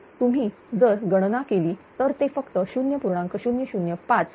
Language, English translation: Marathi, So, it if you compute it will become just 0